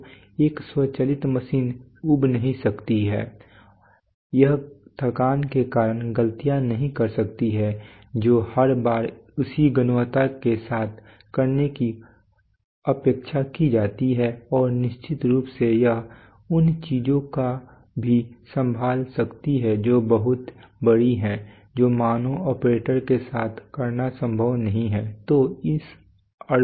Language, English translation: Hindi, So an automated machine cannot get bored it cannot make mistakes due to fatigue it does what it is expected to do each time with the same quality and of course it can also handle things which are much larger which are not possible to do with human operators